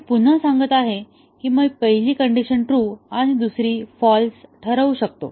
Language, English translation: Marathi, I can set the first condition true, second one false